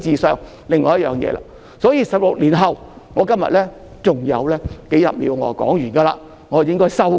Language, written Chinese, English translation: Cantonese, 所以，在16年後......我今天只多說數十秒便完結，然後我便可以"收工"。, So 16 years afterwards I will speak only a few tens of seconds more and then I can knock off today